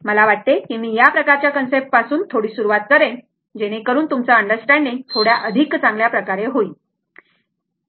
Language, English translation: Marathi, I thought that I will start little bit with this kind of concept such that your our understanding will be will be little bit you known better right